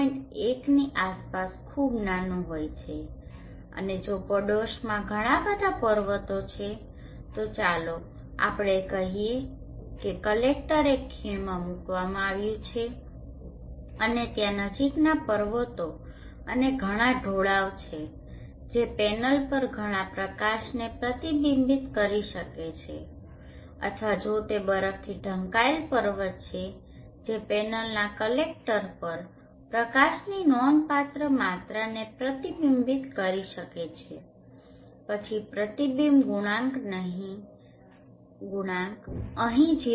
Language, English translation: Gujarati, is very small around point 1 and if you have a lot of mountains in the neighborhood let us say the collector is placed in a valley and there are a lot of nearby mountains and slopes which can reflect a lot of light onto the channel or if it is a snow capped mountain which can reflect quite a significant amount of light onto the panel's collectors